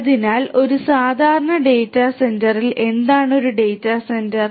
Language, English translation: Malayalam, So, in a typical data centre what is a data centre